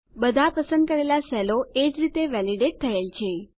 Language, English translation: Gujarati, All the selected cells are validated in the same manner